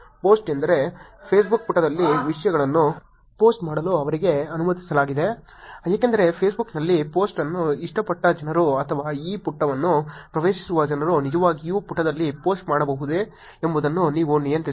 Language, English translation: Kannada, Post is whether they are allowed to actually post the content on the Facebook page, because on Facebook you can actually control whether the people who have liked the post or people who are accessing this page can actually post on to the page